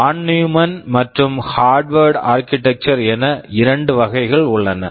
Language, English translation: Tamil, We talk about Von Neumann and Harvard class of architectures